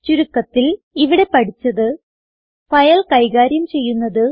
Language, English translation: Malayalam, In this tutorial we learnt, File handling